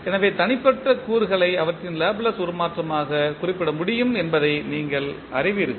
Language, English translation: Tamil, So, you know that individual components you can represent as their Laplace transform